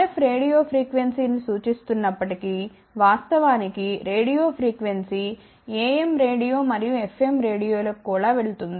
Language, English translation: Telugu, Even though RF stands for radio frequency in fact, radio frequency goes to even AM radio and FM radio also